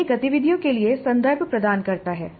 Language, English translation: Hindi, This provides the context for the activities